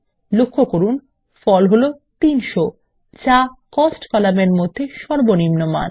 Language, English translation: Bengali, Note, that the result is 300 which is the minimum amount in the Cost column